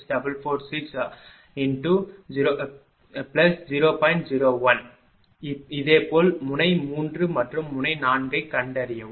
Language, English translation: Tamil, Similarly find out node 3 and node 4